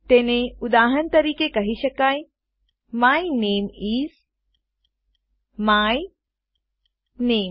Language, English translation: Gujarati, It can be called, for example, my name is my name